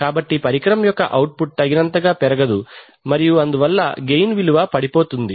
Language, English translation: Telugu, So the output of the instrument can never rise enough and therefore the gain falls